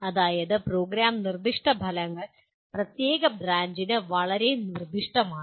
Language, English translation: Malayalam, That means the Program Specific Outcomes are very specific to particular branch